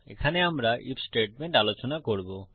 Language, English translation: Bengali, Here we will discuss the IF statement